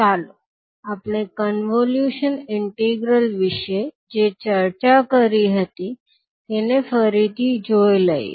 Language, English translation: Gujarati, So this is what we discussed about the convolution integral